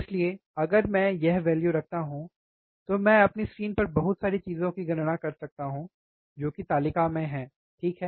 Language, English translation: Hindi, So, then if I put this value I can calculate lot of things on my screen which is the table, right